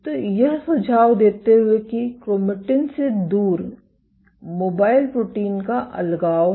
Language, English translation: Hindi, So, suggesting that there is a segregation of mobile proteins away from chromatin